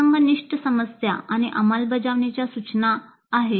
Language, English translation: Marathi, There are situational issues and implementation tips